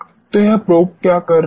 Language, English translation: Hindi, So, what that probe is doing